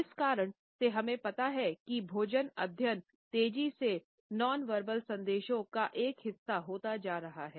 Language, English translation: Hindi, Because of these reasons we find that food studies are fast becoming a part of nonverbal messages